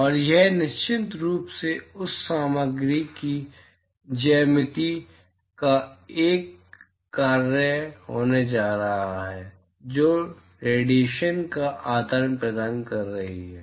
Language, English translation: Hindi, And it is of course, going to be a function of the geometry of the material which is exchanging radiation